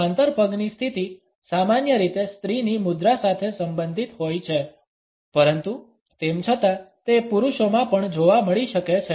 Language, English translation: Gujarati, The parallel leg position is normally related with a feminine posture, but nonetheless it can be found in men also